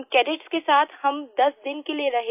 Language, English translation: Hindi, We stayed with those cadets for 10 days